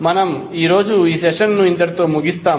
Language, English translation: Telugu, So we close this session today